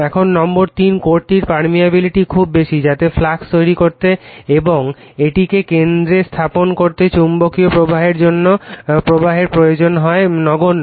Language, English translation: Bengali, Now number 3, the permeability of the core is very high right so, that the magnetizing current required to produce the flux and establish it in the core is negligible right